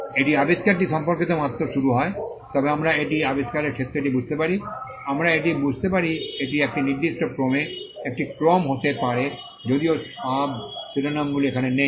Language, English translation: Bengali, It just starts the invention relates to, but we understand the field of invention it, we can understand this to be in an order in a particular order though the subheadings are not here